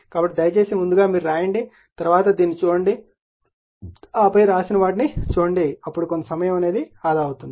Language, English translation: Telugu, So, please write yourself first, then you see this then you see what have been written then some time will be save right